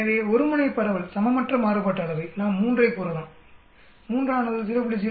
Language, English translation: Tamil, So we can say one tailed distribution, unequal variance, we can say 3, 3, it is greater than 0